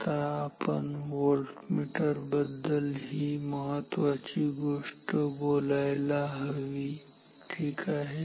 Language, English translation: Marathi, Now, the important thing that we should talk about volt meters is this ok